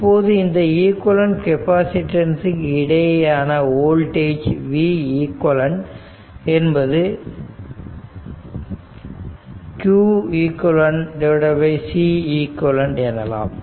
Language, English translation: Tamil, Now the voltage across the equivalence capacitance is now v eq will be q eq upon C eq